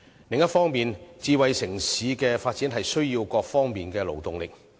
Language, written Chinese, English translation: Cantonese, 另一方面，智慧城市在各方面的發展均需勞動力。, Meanwhile a smart city requires labour force to sustain its development on various fronts